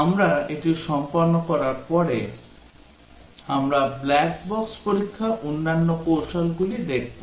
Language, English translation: Bengali, After we complete this we will look at the other black box testing strategies